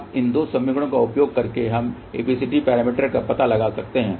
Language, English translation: Hindi, Now, by using these 2 equations we can find out the ABCD parameter